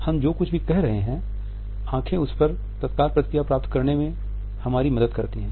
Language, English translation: Hindi, Eyes also help us to get the immediate feedback on the basis of whatever we are saying